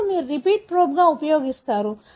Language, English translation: Telugu, Now, you use the repeat as a probe